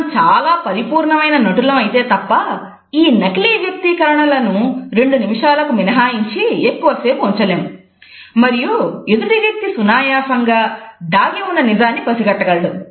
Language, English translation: Telugu, Unless and until we are very accomplished actors, we cannot continue this expression for more than two minutes perhaps and the other person can easily find out the truth behind us